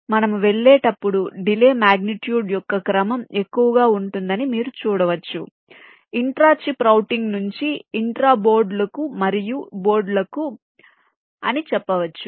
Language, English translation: Telugu, so you can see that the delay can be of the order of the magnitude higher as we go, for you can say intra chip routing to intra boards and across boards